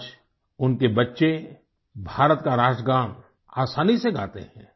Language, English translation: Hindi, Today, his children sing the national anthem of India with great ease